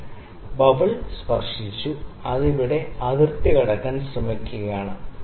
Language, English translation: Malayalam, Yes, the bubble has touched or, it is trying to cross the line here